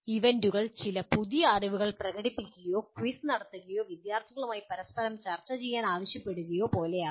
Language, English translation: Malayalam, The events could be like demonstrating some new knowledge or conducting a quiz or asking the students to discuss with each other